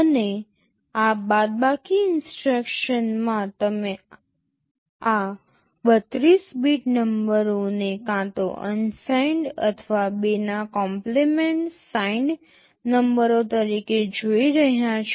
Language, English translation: Gujarati, And, in these subtract instructions you are viewing these 32 bit numbers as either unsigned or as 2’s complement signed numbers